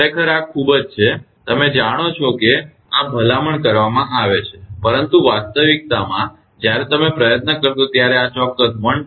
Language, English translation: Gujarati, Actually this is very you know this is recommended, but in reality when you will try it may not be exactly this 1